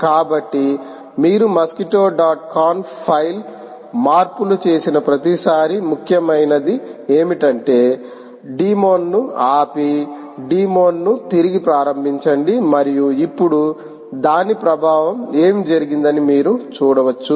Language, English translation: Telugu, so every time you make changes to the file mosquitto dot conf what is important is to stop the demon and restart the demon, and you can see now the affect has taken place